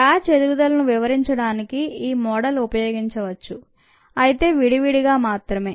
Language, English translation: Telugu, this model can be used to describe batch growth, but in parts